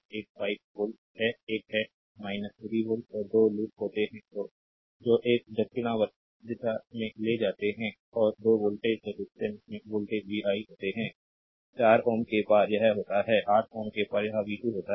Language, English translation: Hindi, And 2 loops are there, that taken in a clockwise direction and across 2 ohm resistance the voltage is v 1, across 4 ohm it is v 3, across 8 ohm it is v 2